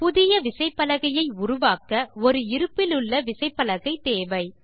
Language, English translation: Tamil, To create a new keyboard, we have to use an existing keyboard